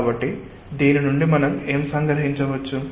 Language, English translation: Telugu, so what we can summarize from this